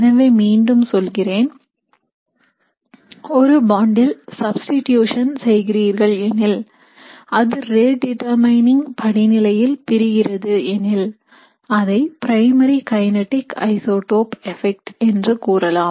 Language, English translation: Tamil, So when we do a reaction like this, if we look at substitution at the bond that is breaking in the rate determining step, it is called a primary kinetic isotope effect